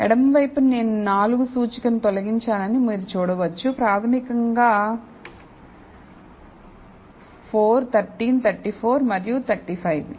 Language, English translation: Telugu, So, on the left you can see, that I have removed the 4 index basically, 4 13 34 and 35